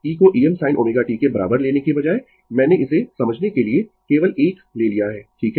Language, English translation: Hindi, Instead of taking e is equal to E M sin omega t, I have taken this one just for your understanding only right